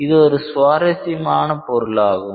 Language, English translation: Tamil, It is a very involved topic